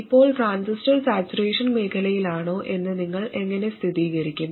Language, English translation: Malayalam, Now how do you verify whether the transistor is in saturation region